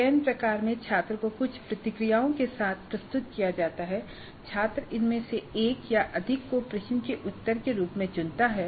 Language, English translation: Hindi, In the selection type the student is presented with certain responses and the student selects one or more of these as the response to be given to the question